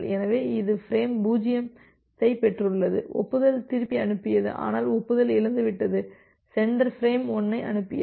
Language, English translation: Tamil, So, it has received frame 0 sent back the acknowledgement, but the acknowledgement is lost then, the sender has transmitted frame 1